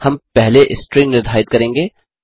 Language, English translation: Hindi, We shall define a string first